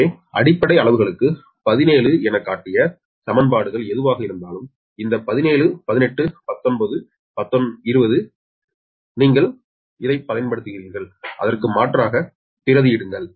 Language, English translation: Tamil, so whatever, whatever equations we have shown for base quantities, that is seventeen, this seventeen, eighteen, nineteen and twenty, you use that and substitute their